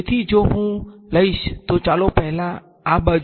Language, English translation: Gujarati, So, if I take the let us take this side first over here